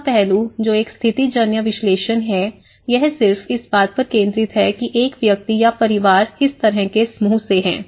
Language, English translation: Hindi, The third aspect, which is a situational analysis, it focuses just on what kind of group a person or a family belongs to